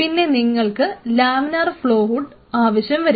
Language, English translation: Malayalam, So, you have laminar flow hood sitting here